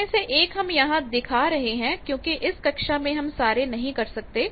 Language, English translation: Hindi, One of that we are showing here others all we cannot take in this class